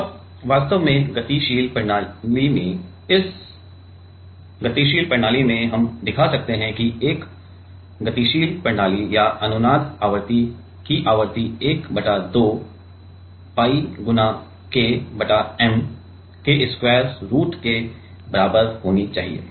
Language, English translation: Hindi, And, actually from this dynamic system from the dynamic system we can show, that frequency of a dynamic system or resonance frequency will be should be equal to 1 by 2 pi into root over K y M